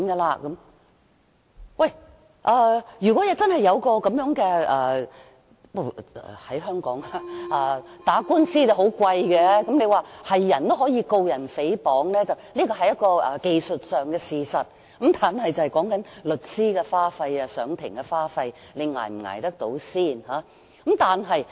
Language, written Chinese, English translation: Cantonese, 不過，在香港打官司很昂貴，雖說誰也可以控告他人誹謗，這是技術上的事實，但重點在於你能否負擔律師費及上庭的各種開支。, Yet litigation in Hong Kong is rather costly . It is true that any person can always sue others for defamation but this is true only in the technical sense . The important point is always ones ability or inability to bear lawyers fees and court expenses